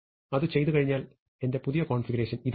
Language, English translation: Malayalam, So, this is my initial configuration